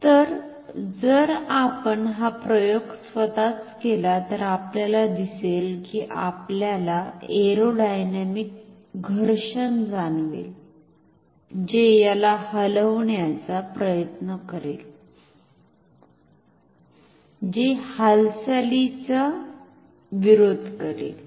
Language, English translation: Marathi, So, if you do this experiment on your own, you see that you will realize the aerodynamic friction, which is trying to move it which is opposing to movement